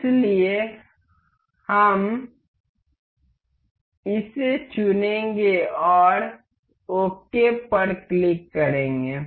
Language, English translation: Hindi, So, we will select this and click ok